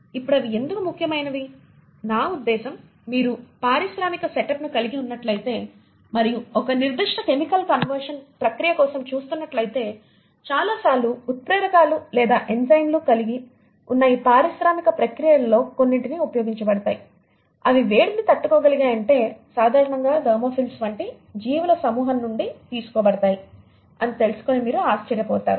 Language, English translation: Telugu, Now why they are important, I mean, itÕs no oneÕs guess that if you are having an industrial setup and you are looking for a certain chemical conversion process, you will be astonished that a many a times a lot of catalysts or enzymes which are being used in some of these industrial processes, if they need to be heat resistant are usually derived from these group of organisms like the thermophiles